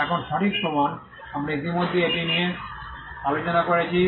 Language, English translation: Bengali, Now, proof of right, we had already discussed this